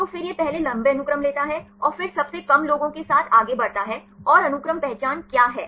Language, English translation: Hindi, So, then it takes the longer sequences first, and then proceeds with the shortest ones and what is the sequence identity